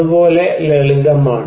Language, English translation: Malayalam, That is as simple as